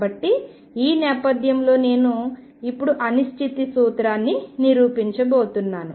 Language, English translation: Telugu, So, with this background I am now going to prove the uncertainty principle